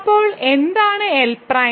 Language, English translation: Malayalam, So, what is L prime